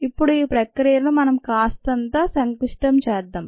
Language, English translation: Telugu, now let us complicate this process a little bit